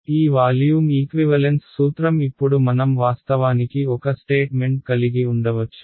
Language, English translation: Telugu, So, this volume equivalence principle what now we can actually have a statement what it is